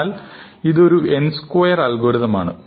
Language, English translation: Malayalam, So, this will been an n squared algorithm, right